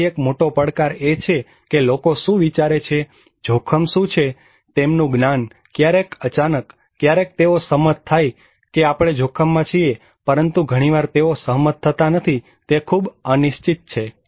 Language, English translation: Gujarati, So the big challenge is that, what people think what is risky their knowledge, sometimes sudden, sometimes they agree that okay we are at risk but many times they do not agree is very uncertain